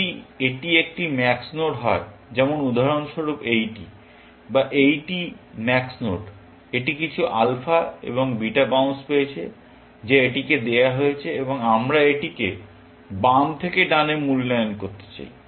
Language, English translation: Bengali, If it is a max node, like this one, for example, or this max node; it has got some alpha and beta bounce, given to it, and we want to evaluate this from left to right